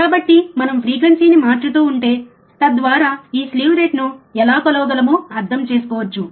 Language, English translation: Telugu, So, we change the frequency so that we can understand how this slew rate can be measure ok